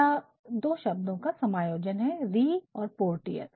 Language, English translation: Hindi, It is actually a combination of two words Re and Portier